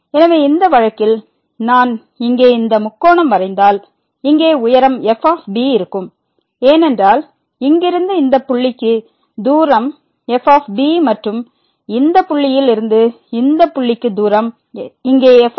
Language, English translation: Tamil, So, in this case if I draw this triangle here the height here will be because the distance from here to this point is and the distance from this point to this point here is